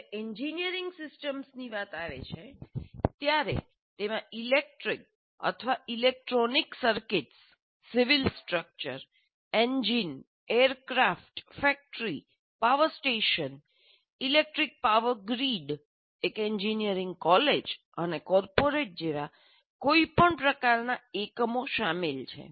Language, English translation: Gujarati, And when it comes to engineering systems, they include any kind of unit, electric or electronic circuits, a civil structure, an engine, an aircraft, a factory, a power station, an electric power grid, even an engineering college and a corporate, these are all engineering systems